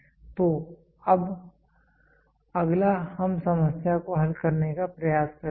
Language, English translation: Hindi, So, now, next we will try to solve the problem